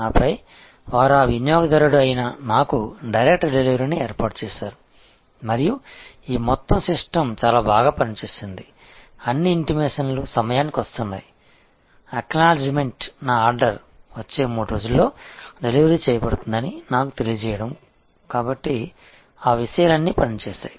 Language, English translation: Telugu, And then, they arrange for that direct delivery to the customer to me and this whole system worked quite well, all the intimations were coming to be on time, acknowledgment, my ordered, informing me that it will be delivered within the next 3 days and so on, all those things worked